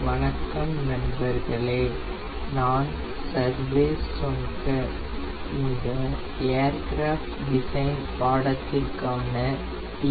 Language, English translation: Tamil, hello friends, i am sarvesh onkar ta for this course aircraft design